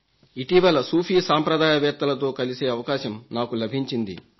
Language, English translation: Telugu, Sometime back, I had the opportunity to meet the scholars of the Sufi tradition